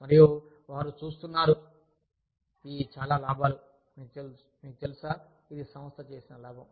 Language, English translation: Telugu, And, they see, these many profits, you know, this is the profit, that the organization has made